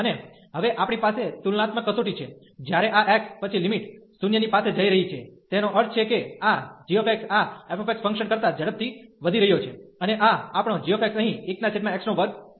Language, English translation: Gujarati, And now we have the comparison test, when this x then the limit is going to 0 that means this g x is growing faster than this f x function, and this is our g x here 1 over x square